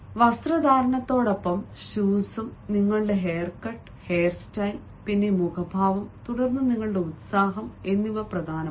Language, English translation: Malayalam, along with the dress are also important ah, your hair cut, the hair style ah, then ah, the facial expressions and then also your enthusiasm level